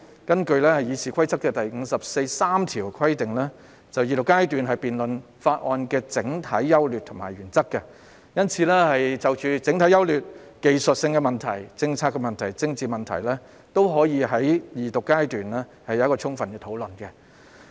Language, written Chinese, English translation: Cantonese, 根據《議事規則》第543條規定，二讀階段是辯論法案的整體優劣和原則，因此，相關法案的整體優劣及其所涉及的技術性問題、政策問題和政治問題，均可於二讀階段作充分討論。, According to Rule 543 of the Rules of Procedure RoP a debate covering the general merits and principles of the Bill is conducted at the stage of Second Reading . Therefore the general merits of the bill in question and its technical policy and political issues can be fully discussed at the stage of Second Reading